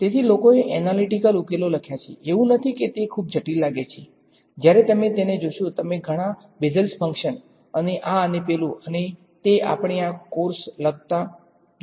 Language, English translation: Gujarati, So, people have written analytical solutions, not that they are easy seems very complicated when you look at them lots of Bessel functions and this and that and we will see a lot of writing this course ah